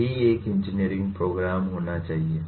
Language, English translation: Hindi, That is what an engineering program ought to be, okay